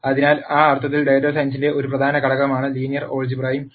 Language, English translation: Malayalam, So, in that sense also linear algebra is an important com ponent of data science